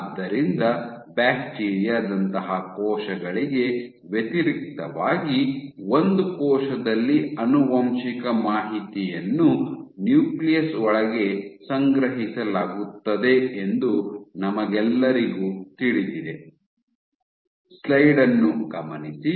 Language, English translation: Kannada, So, as we all know that in contrast to cells like bacteria, in a cell the genetic information is stored inside the nucleus ok